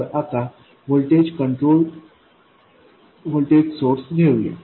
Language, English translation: Marathi, So let's take a voltage control voltage source